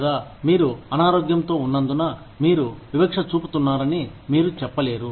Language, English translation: Telugu, Or, you cannot say that, you are discriminating, because i am sick